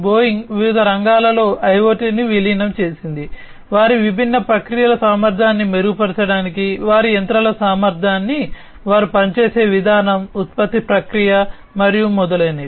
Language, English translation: Telugu, Boeing also has incorporated IoT in different sectors, for improving the efficiency of their different processes, the efficiency of their machines the way they operate, the, the production process, and so on